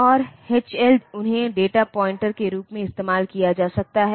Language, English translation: Hindi, And H and L they can be used as data pointer